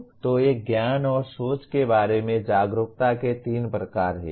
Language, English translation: Hindi, So these are three types of awareness of knowledge and thinking